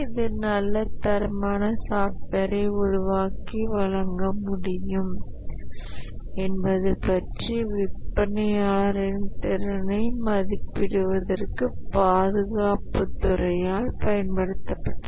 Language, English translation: Tamil, This was used by the Department of Defense to evaluate the capability of the vendor that whether it can actually develop a good quality software and deliver